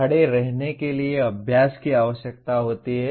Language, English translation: Hindi, Learning to stand requires practice